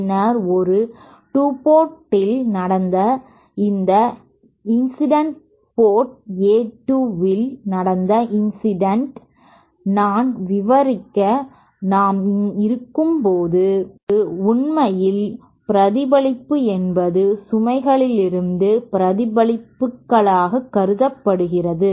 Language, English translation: Tamil, And then A 2 this incident at port 2 they way that is incident at port 2 as I describe while we are is actually the reflect can also be considered to be reflected from the load